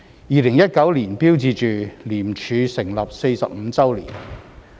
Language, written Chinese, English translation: Cantonese, 2019年標誌着廉署成立45周年。, The year 2019 marked the 45 year of the establishment of ICAC